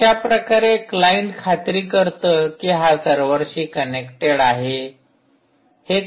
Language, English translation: Marathi, how is the client ensure that it is actually connecting to the server